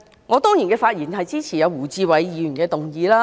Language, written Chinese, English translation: Cantonese, 我當然支持胡志偉議員的議案。, Of course I support the motion of Mr WU Chi - wai